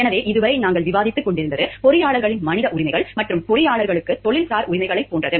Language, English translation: Tamil, So, till now what we were discussing, were like engineers rights as human beings and engineers who rights as professionals